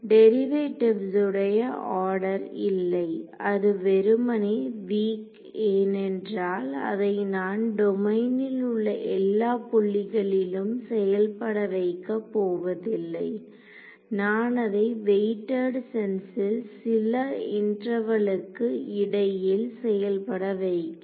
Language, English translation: Tamil, Not the order of derivatives it is simply weak because its I am not enforcing at every point in the domain I am enforcing it in a weighted sense over some interval